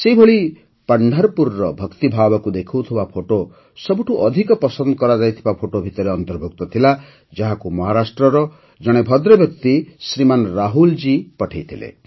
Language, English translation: Odia, Similarly, a photo showing the devotion of Pandharpur was included in the most liked photo, which was sent by a gentleman from Maharashtra, Shriman Rahul ji